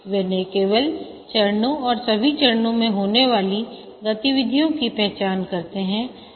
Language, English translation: Hindi, They are not only they identify all the phases and the activities that take place in the phases